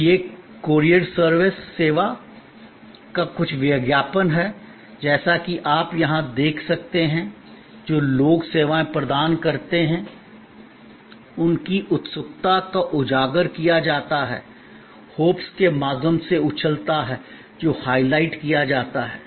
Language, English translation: Hindi, So, this is some advertisement of the courier service and as you can see here, the people who provides services are highlighted, their eagerness is highlighted, the jumbling through the hoops that is highlighted